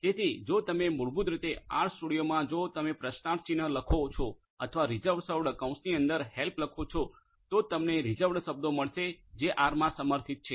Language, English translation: Gujarati, So, if you basically type in the R studio if you type in question mark reserved or help within parenthesis reserved, this is what you are going to get you are going to get these reserved words that are supported in R